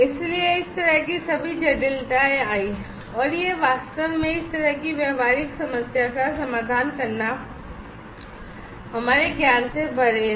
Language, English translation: Hindi, So, all this kind of complications came and it was beyond our knowledge to actually address this kind of practical problem